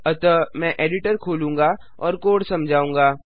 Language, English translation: Hindi, So, Ill open the editor and explain the code